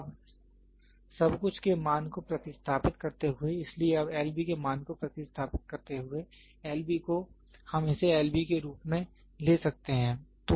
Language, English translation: Hindi, Now, substituting the value of everything, so now, substituting the value of L B, L B is we can take it as L B